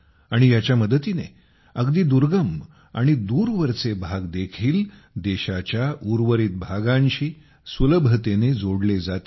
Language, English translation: Marathi, With the help of this, even the remotest areas will be more easily connected with the rest of the country